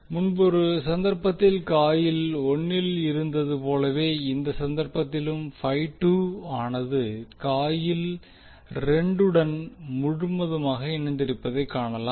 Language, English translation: Tamil, Now again as was in the case of coil 1 in this case also we will see y2 will link completely to the coil 2